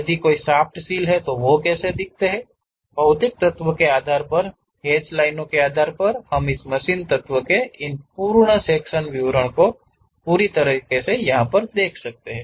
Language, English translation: Hindi, If there are any shaft seals, how they really look like; based on these hatched lines, based on the material elements, we will represent these complete full sectional details of that machine element